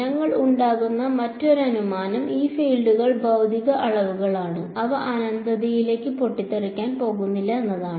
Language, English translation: Malayalam, Another assumption we are making is that these fields are physical quantities they are not going to blow up to infinity